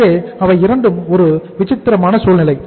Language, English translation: Tamil, So they are the two means a peculiar situation